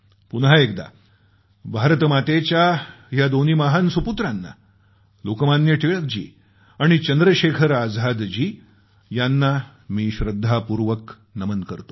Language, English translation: Marathi, Once again, I bow and pay tributes to the two great sons of Bharat Mata Lokmanya Tilakji and Chandrasekhar Azad ji